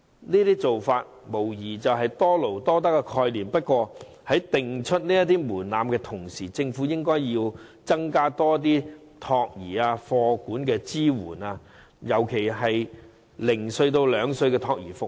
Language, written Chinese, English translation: Cantonese, 這些做法無疑符合多勞多得的概念，但在訂定門檻的同時，政府應增加託兒和課餘託管的支援，尤其是零至兩歲的託兒服務。, This arrangement is consistent with the principle of working more to earn more . Yet in setting such a threshold the Government should at the same time enhance the support in child care and after - school care services particularly child care services for children aged between zero and two